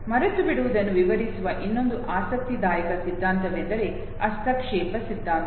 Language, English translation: Kannada, The other interesting theory which explains forgetting is the interference theory okay